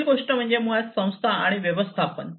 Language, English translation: Marathi, The next thing is basically the organization and management